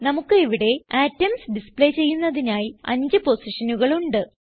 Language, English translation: Malayalam, Here we have 5 positions to display atoms